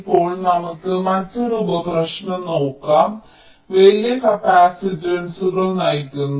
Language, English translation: Malayalam, ok, fine, now let us look at another sub problem: driving large capacitances